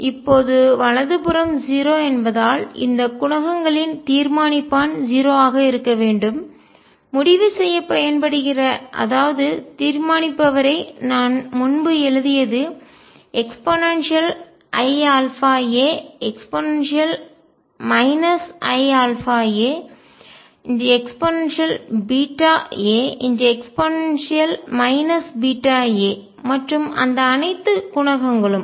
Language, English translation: Tamil, Now, because right hand side is 0 these are the determinant of these coefficients should be 0, determinant is whatever we wrote earlier e raised to i alpha a e raised to minus i alpha a e raised to beta a e raised to minus beta a and all those coefficients